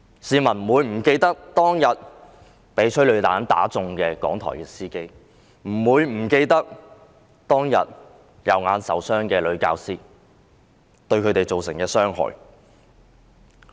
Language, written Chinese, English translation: Cantonese, 市民不會忘記當天被催淚彈射中的香港電台司機，不會忘記當天右眼受傷的教師，不會忘記事件對他們造成的傷害。, People will not forget the motor driver of Radio Television Hong Kong being shot by a tear gas round that day and the teacher being shot in the right eye . People will not forget the harm that the incident caused to them